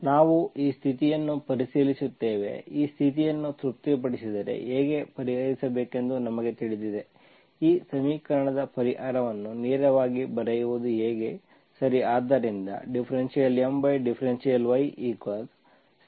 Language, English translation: Kannada, We check this condition, if this condition is satisfied, we know how to solve, how to write the solution of this equation directly, okay